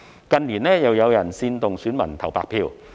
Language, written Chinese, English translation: Cantonese, 近年，又有人煽動選民投"白票"。, In recent years some people again incited the voters to cast blank votes